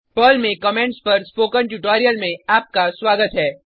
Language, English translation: Hindi, Welcome to the spoken tutorial on Comments in Perl